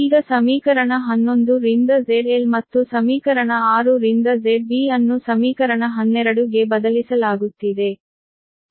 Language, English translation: Kannada, now, substituting z l from equation eleven right, and z b from equation six into equation twelve